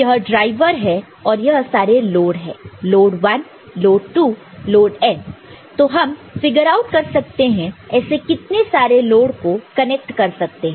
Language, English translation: Hindi, And when the input so, this is the driver and these are the loads load 1, load 2, load N we shall figure out how much, how many loads can be connected ok